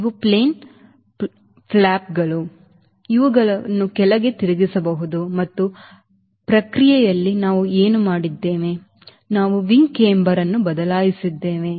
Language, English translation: Kannada, these are plane flaps which can be deflected downward and in the process what we have done, we have change camber of the wing